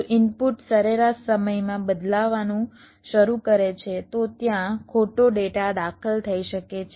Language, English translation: Gujarati, if the input starts changing in the mean time, then there can be wrong data getting in